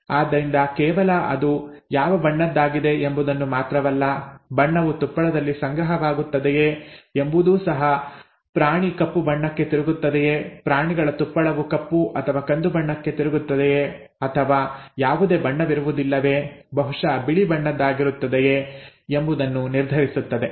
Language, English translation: Kannada, So the not only what colour it is, whether the colour will be deposited in the fur, both determine whether the animal turns out to be black, the animal fur turns out to be black or brown or no colour at all, white, maybe